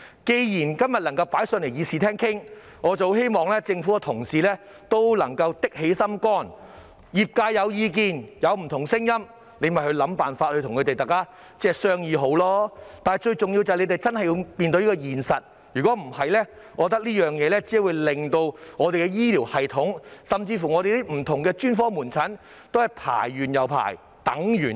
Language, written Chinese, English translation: Cantonese, 既然今天能夠在議事廳討論此事，我希望政府的同事也能夠下定決心，如果業界有意見或不同聲音，便想辦法與他們商議，但最重要的是，政府真的要面對現實，否則這個問題只會令我們的醫療系統，甚至是不同專科門診的輪候時間越來越長。, Since this issue is discussed in the Chamber today I hope colleagues in the Government will have the determination to strive to discuss with the relevant sector if it has any views or different voices . But most importantly the Government indeed has to face up to the reality otherwise this problem will only lead to an increasingly long waiting time for our healthcare system and even that for various specialist outpatient clinics